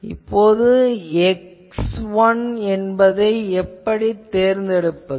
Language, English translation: Tamil, Now, the question is how to select x 1